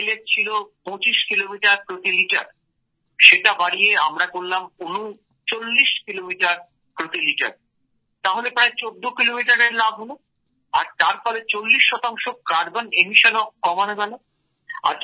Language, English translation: Bengali, Sir, we tested the mileage on the motorcycle, and increased its mileage from 25 Kilometers per liter to 39 Kilometers per liter, that is there was a gain of about 14 kilometers… And 40 percent carbon emissions were reduced